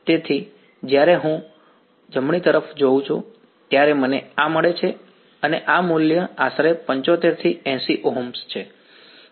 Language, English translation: Gujarati, So, this is what I get when I look at the right; and this value is roughly about 75 to 80 Ohms let say